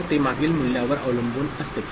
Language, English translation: Marathi, So, it depends on the previous value